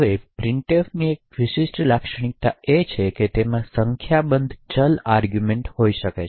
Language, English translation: Gujarati, Now one characteristic feature about printf is that it can have variable number of arguments